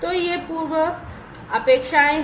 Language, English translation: Hindi, So, these are the prerequisites